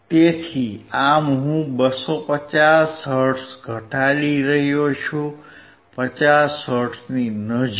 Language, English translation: Gujarati, So, I am decreasing 250 hertz, close to 50 hertz